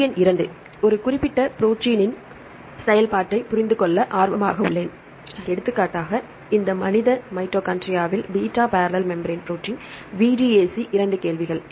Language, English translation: Tamil, Question number 2 I am interested to understand the function of a particular protein, for example, this human mitochondrial beta barrel membrane protein VDAC, two questions